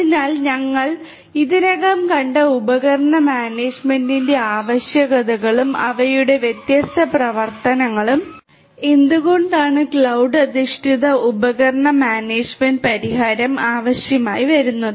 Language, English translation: Malayalam, So, these are the needs for device management we have already seen and their different functionalities and why it is required to have this cloud based device management solution